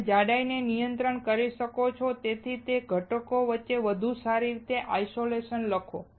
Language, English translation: Gujarati, You can control the thickness and hence write better isolation between components